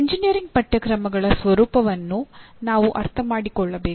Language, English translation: Kannada, And now we need to understand the nature of engineering courses